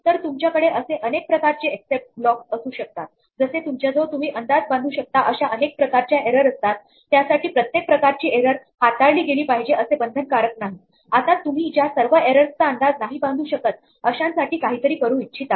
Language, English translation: Marathi, So, you could have as many except blocks as you have types of errors which you anticipate errors for it is not obligatory to handle every kind of error, only those which you anticipate and of course, now you might want to do something in general for all errors that you do not anticipate